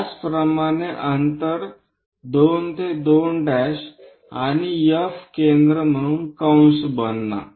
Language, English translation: Marathi, Similarly, as distance 2 to 2 prime and F as that make an arc